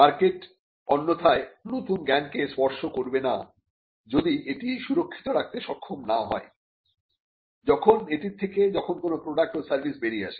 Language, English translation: Bengali, The market otherwise will not touch the new knowledge, if it is not capable of being protected, when it by way of a when a product or a service comes out of it